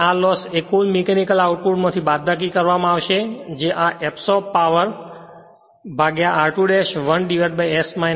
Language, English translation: Gujarati, And this loss would be subtracted from the gross mechanical output that is power absorbed by r 2 dash 1 upon s minus 1 this one right